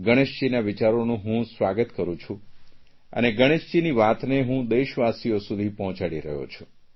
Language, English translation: Gujarati, I appreciate the views of Ganesh jee and convey this message to the people of our country